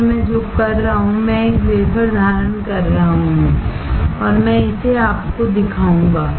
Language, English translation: Hindi, So, what I am doing is, I am holding a wafer and I will show it to you